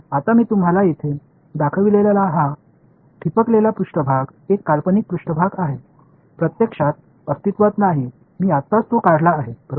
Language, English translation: Marathi, Now, this dotted surface which I have shown you over here it is a hypothetical surface, it does not actually exist I have just drawn it right